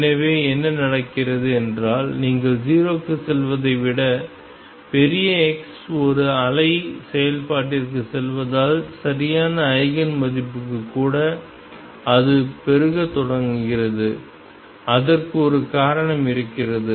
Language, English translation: Tamil, So, what happens is as you go to large x a wave function rather than going to 0 even for the right eigenvalue it starts blowing up and there is a reason for it